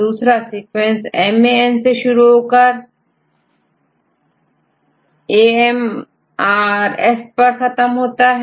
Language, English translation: Hindi, The second sequence started from ‘MAN’ and ended with this ‘AMRF’